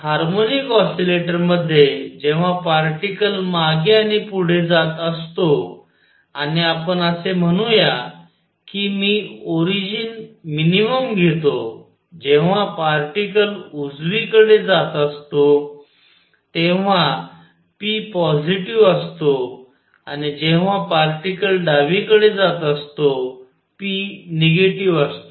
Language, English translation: Marathi, So, in a harmonic oscillator when the particle is going back and forth, and let us say that I take the origin to be at the minimum, when the particle is going to the right p is positive and when the particle is going to the left p is negative